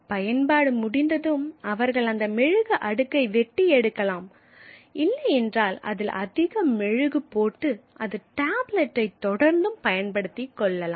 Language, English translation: Tamil, Once the use is over they could either strip off that layer of wax or put more wax on it and continue to use the same tablet so it became reusable